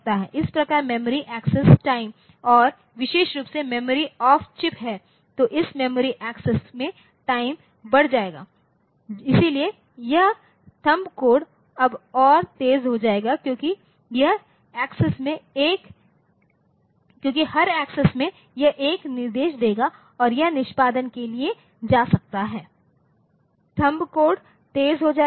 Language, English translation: Hindi, So, that way the memory access time and particularly the memory is off chip then this memory access time will increase, so, this THUMB code will now be faster because every access will give it one instruction and that it can go for execution so, THUMB code will be faster